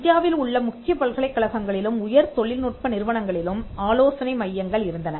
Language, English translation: Tamil, And we had centres for consultancy in the major universities in and higher technical institutions in India